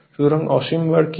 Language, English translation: Bengali, So, what is infinite bars